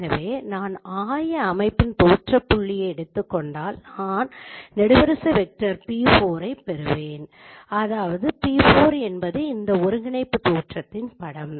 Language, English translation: Tamil, So if I take the image of the origin of the world coordinate system, I will get the column vector P4, which means p4 is the image of that coordinate origin